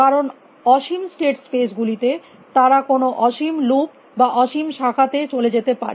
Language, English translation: Bengali, Because in infinite state spaces they could go some infinite loop or some infinite branch